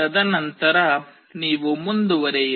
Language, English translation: Kannada, And then you move on